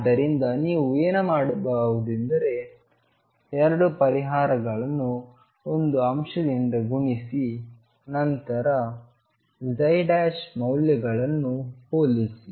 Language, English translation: Kannada, So, what you could do is match the 2 solutions was by multiplying by a factor and then compare the psi prime values